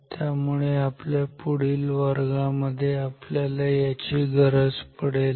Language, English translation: Marathi, So, this is what we will need in our next class